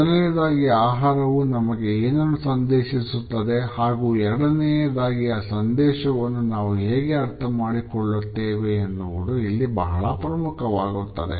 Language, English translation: Kannada, So, what becomes important in this context is what exactly does food communicate to us and secondly, how do we understand the communicated message